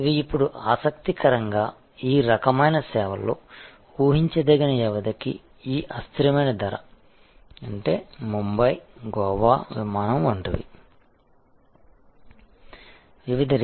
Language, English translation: Telugu, These are, now interestingly we find that in this kind of services, these variable price for predictable duration; that means, like a Bombay, Goa flight